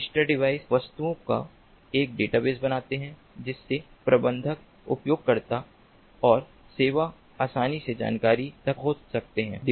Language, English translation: Hindi, the register devices create a database of objects from which the managers, users and services can easily access the information